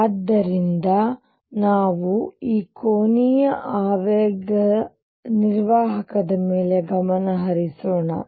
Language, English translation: Kannada, So, let us now focus on the angular momentum operator